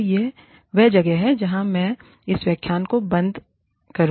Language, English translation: Hindi, So, that is where, i will stop in this lecture